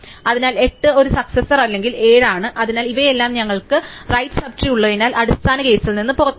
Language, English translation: Malayalam, So, 8 is a successor or 7, so these all come out of the basic case for you have a right sub tree